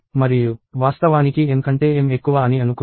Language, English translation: Telugu, And let us assume that, m is actually greater than n